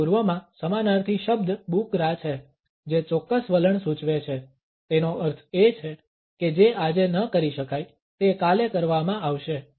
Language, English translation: Gujarati, In the Middle East a synonymous world is Bukra which indicates a particular attitude, it means that what cannot be done today would be done tomorrow